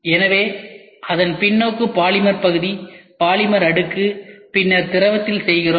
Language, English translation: Tamil, So, we are doing reverse of it polymer part, polymer layer, then in the liquid